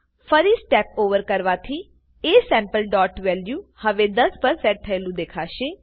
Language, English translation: Gujarati, When I say Step Over again, you will notice that aSample.value is now set to10